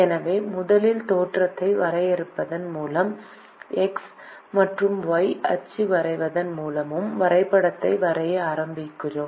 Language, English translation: Tamil, so we first start drawing the graph by defining the origin and by drawing the x and y axis